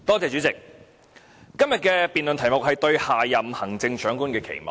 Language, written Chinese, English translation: Cantonese, 主席，今天的議案辯論題目是"對下任行政長官的期望"。, President the topic of debate today is Expectations for the next Chief Executive